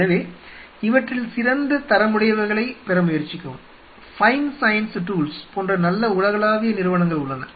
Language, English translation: Tamil, So, try to get the best quality of it, there are global companies which are really good like fine science tools fine science tools